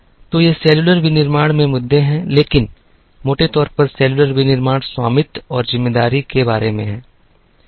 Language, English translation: Hindi, So, these are the issues in cellular manufacturing, but largely cellular manufacturing is about ownership and responsibility